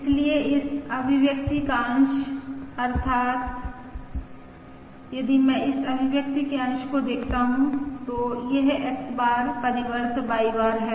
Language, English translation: Hindi, Therefore, the numerator of this expression, that is, if I look at the numerator of this expression, that is X bar transpose Y bar